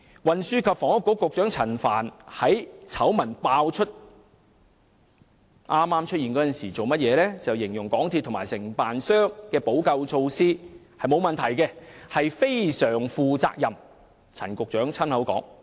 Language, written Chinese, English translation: Cantonese, 運輸及房屋局局長陳帆在醜聞爆出之初，形容港鐵公司和承建商的補救措施是"非常負責任"，並無問題，這是陳局長親口說的。, At first when this scandal broke Secretary for Transport and Housing Frank CHAN described the remedial action taken by MTRCL and the contractor as very responsible saying there was no problem with it . This was what the Secretary said himself